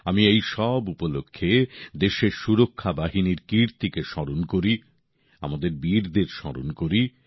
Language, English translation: Bengali, On all these occasions, I remember the country's Armed Forces…I remember our brave hearts